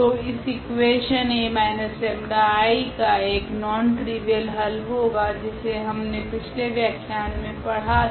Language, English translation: Hindi, So, this equation A minus lambda I x has a non trivial solution which we have already studied in previous lecture